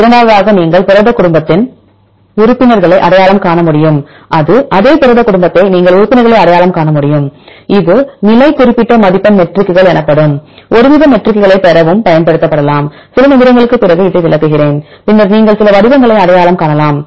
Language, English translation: Tamil, Then the second one you can identify the members of the protein family right same different same protein family you can identify the members, this can also be used to derive some sort of matrices called the position specific scoring matrices and I will explain this after few minutes, then you can identify some patterns